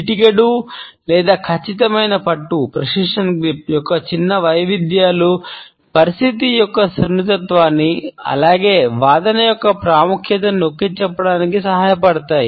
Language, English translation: Telugu, Minor variations of the pinch or the precision grip, help us to underscore the delicacy of the situation as well as the significance of the argument, which we want to pass on